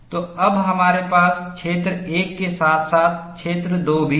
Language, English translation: Hindi, So, now we have region 1 as well as region 2